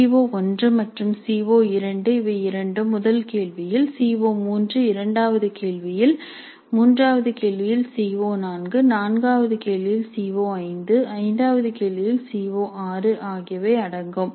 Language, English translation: Tamil, CO1 and CO2, both of them are covered in the first question and CO3 is covered in the second question, CO4 in the third question, CO5 in the fourth question, CO6 in the third question, CO5 in the fourth question, CO 6 in the fifth question